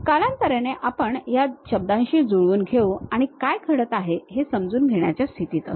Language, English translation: Marathi, Over the time we will acclimatize with these words and will be in your position to really sense what is happening